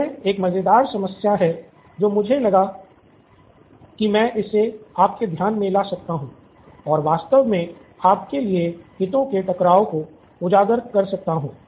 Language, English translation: Hindi, This is a fun problem that was there I thought I could bring this to your attention and actually highlight the conflict of interest for you